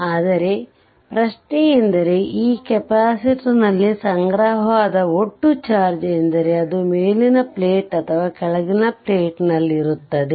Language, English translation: Kannada, But question is that when you say that total charge accumulated on this of the capacitor means it is either upper plate or at the lower plate right